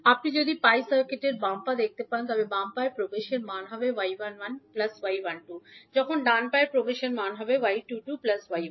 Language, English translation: Bengali, So, if you see the left leg of the pi circuit, the value of left leg admittance would be y 11 plus y 12